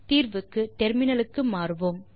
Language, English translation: Tamil, So for solution, we will switch to terminal